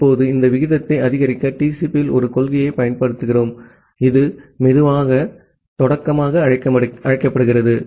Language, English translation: Tamil, Now, to increase this rate, we apply a principle in TCP, which is called slow start